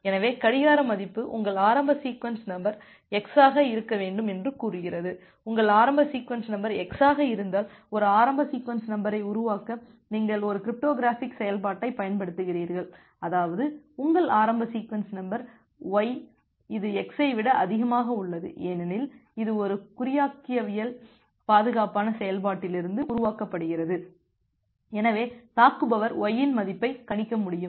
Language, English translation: Tamil, So, say the clock value is saying that your initial sequence number should be x, if your initial sequence number is x then you apply a cryptographic function to generate a initial sequence number such that your initial sequence number y it is more than x and because this is generated from a cryptographically secured function, so the attacker will not be able to predict the value of y